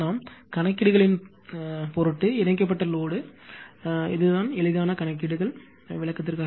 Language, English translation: Tamil, And this is the load connected for the sake of our calculations easy calculations are for the sake of explanation